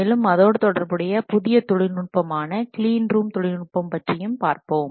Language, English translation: Tamil, Also we will discuss something about relatively new technique called as clean room technique